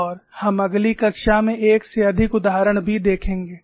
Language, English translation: Hindi, And we will also see more than one example in the next class